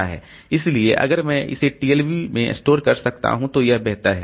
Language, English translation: Hindi, So if I can store it in the TLB, then that is better